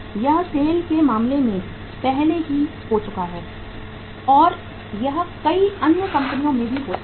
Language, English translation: Hindi, It has already happened in case of SAIL and it can happen in many other companies